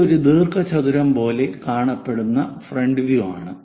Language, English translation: Malayalam, This is the front view like a rectangle we will see